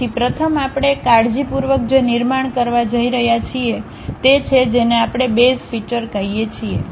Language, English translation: Gujarati, So, the first one what we are going to construct carefully that is what we call base feature